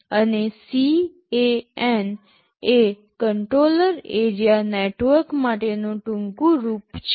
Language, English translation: Gujarati, And CAN is the short form for Controller Area Network